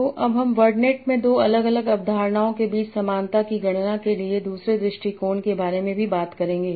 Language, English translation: Hindi, So now I will also talk about briefly the other approach for computing similarity between two different concepts in environment